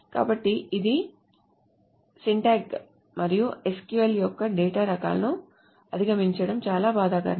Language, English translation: Telugu, So these are these and it's actually a little painful to go over all the syntax and all the data types of SQL